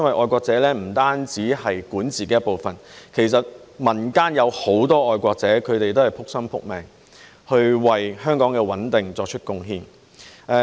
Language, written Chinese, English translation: Cantonese, 愛國者不單是管治團隊的一部分，其實民間也有很多愛國者，他們都是"仆心仆命"，為香港的穩定作出貢獻。, Patriots do not only form the governing team but are also numerous in the community . They are all wholeheartedly dedicated to contributing to the stability of Hong Kong